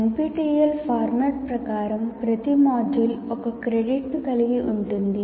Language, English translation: Telugu, And now, as per the NPTEL format, each module constitutes one credit